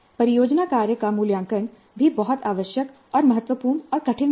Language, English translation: Hindi, Now the assessment of project workup is also very essential and crucial and difficulty also